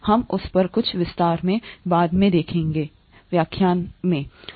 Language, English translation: Hindi, We will look at that in in some detail later in the lectures